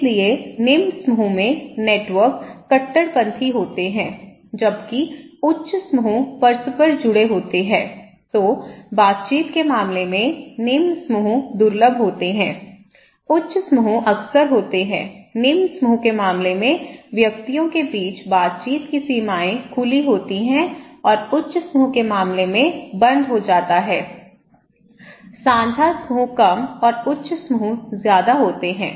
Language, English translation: Hindi, So, group when low, it is; the networks are radical, when high it is interconnected, in case of interactions low groups are rare, high groups are frequent, boundaries of interactions among individuals in case of low group is open and in case of high group is closed, shared groups like few, high groups are many